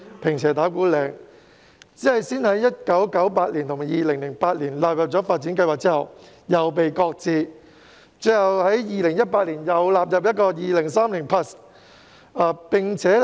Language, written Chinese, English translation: Cantonese, 然而，雖然該區先後在1998年及2008年獲納入發展計劃，但其發展後來卻被擱置，最終在2018年再次納入《香港 2030+》。, The development of this NDA though included in the development plans in 1998 and 2008 was subsequently shelved and was eventually included in Hong Kong 2030 again only until 2018